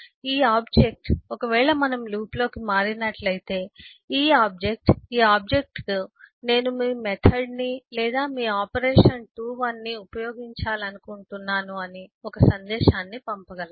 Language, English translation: Telugu, This object, say, if we just turn over to loop this mess, object can send a message to this object saying that I want to use your method or your operation to 1